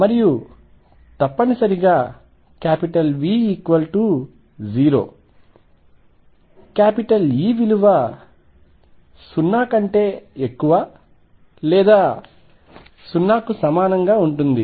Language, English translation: Telugu, And necessarily v 0 e is going to be greater than or equal to 0